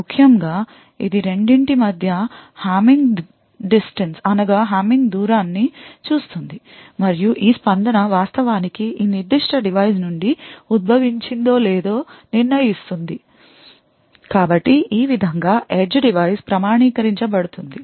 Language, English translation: Telugu, Essentially it would look at the Hamming distance between the two and determine whether this response has actually originated from this specific device so in this way the edge device will be authenticated